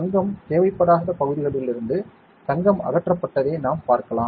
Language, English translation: Tamil, We can see it right the gold has been removed from areas, where the gold was not required